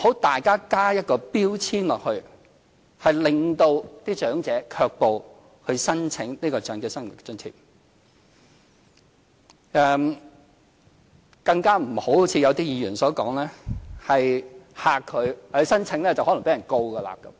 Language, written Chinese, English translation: Cantonese, 大家不要加上標籤，令長者卻步不去申請長者生活津貼，更不要——正如有些議員所說——驚嚇長者，指申請可能會被控告。, We should not apply a label to OALA which may deter the elderly people from applying for the allowance . Moreover as certain Members have pointed out we must never scare the elderly people that lodging an application may make them liable to prosecution